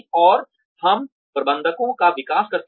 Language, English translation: Hindi, And, we develop managers